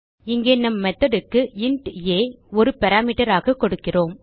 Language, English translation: Tamil, Here we are giving int a as a parameter to our method